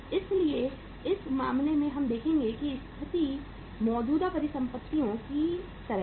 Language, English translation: Hindi, So in this case we would see that uh the situation is like current assets